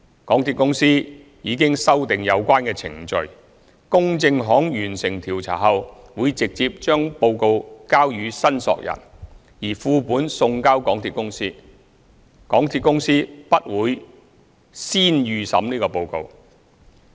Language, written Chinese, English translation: Cantonese, 港鐵公司已修訂有關程序，公證行完成調查後會直接將報告交予申索人，而副本送交港鐵公司，港鐵公司不會先預審報告。, MTRCL has revised the relevant procedures enabling the loss adjuster to pass the reports directly to the claimants with copies sent to MTRCL upon completion of investigations . MTRCL will not preview the reports in advance